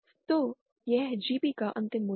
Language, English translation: Hindi, So, this is the final value of the GP